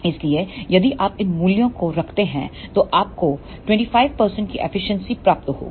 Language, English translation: Hindi, So, if you put these values then you will get the efficiency of 25 percent